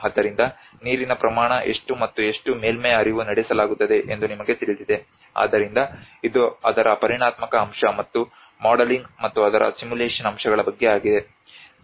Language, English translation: Kannada, So you know so how much water volume of water and how much surface runoff is carried out, so this is all about the quantitative aspect of it and the modeling and the simulation aspect of it